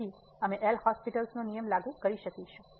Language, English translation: Gujarati, So, we will apply the L’Hospital rule